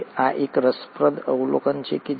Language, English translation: Gujarati, Now this is an interesting observation